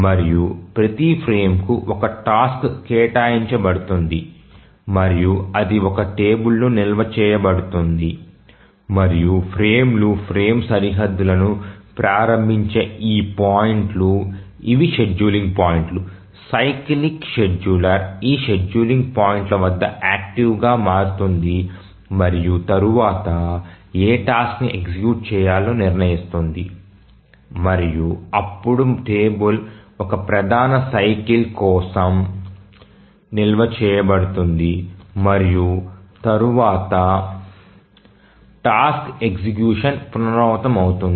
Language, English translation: Telugu, And to each frame a task is assigned and that is stored in a table and these points at which the frames start the frame boundaries these are the scheduling points The cyclic scheduler becomes active at this scheduling points and then decides which task to run and then the table is stored for one major cycle and then the task execution is repeated